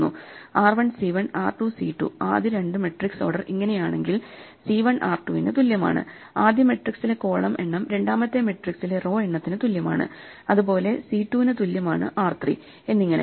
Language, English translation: Malayalam, So, r 1 c 1, r 2 c 2 the first two are such then c 1 is equal to r 2, the number of columns in the first matrix is equal to the number rows in second matrix, similarly, c 2 is equal to r 3 and so on